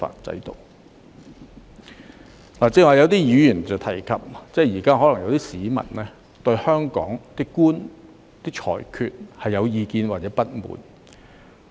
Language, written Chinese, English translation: Cantonese, 剛才有議員提及，現在有些市民對香港法官的裁決有意見或不滿。, Earlier some Members have mentioned that certain members of the public now are upset or dissatisfied with the judgments of judges in Hong Kong